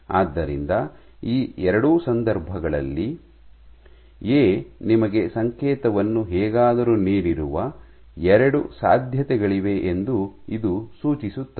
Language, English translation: Kannada, So, this would suggest that both these cases are 2 possibilities in which A has somehow given your signal ok